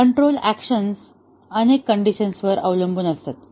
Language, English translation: Marathi, The control action may depend on several conditions